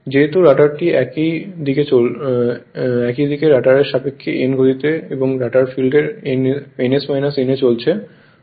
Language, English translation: Bengali, Look at that since the rotor is running at a speed n right and the rotor field at ns minus n right